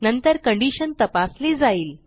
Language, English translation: Marathi, And then, the condition is checked